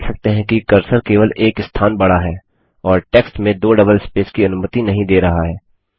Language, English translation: Hindi, You see that the cursor only moves one place and doesnt allow double spaces in the text